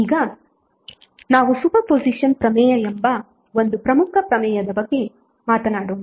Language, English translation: Kannada, Now let us talk about one important theorem called Super positon theorem